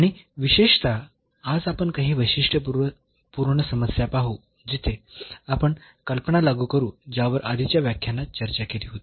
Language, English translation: Marathi, And in particular today we will see some typical problems where, we will apply the idea which was discussed already in previous lectures